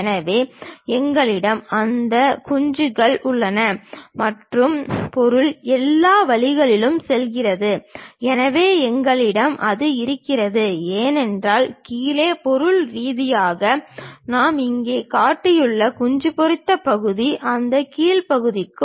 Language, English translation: Tamil, So, we have those hatches and material goes all the way there, so we have that; because bottom materially, the hatched portion what we have shown here is for that bottom portion